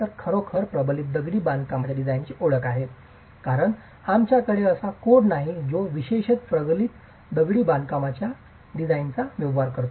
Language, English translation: Marathi, So, this is really an introduction to reinforced masonry design because we do not have a code that specifically deals with reinforced masonry design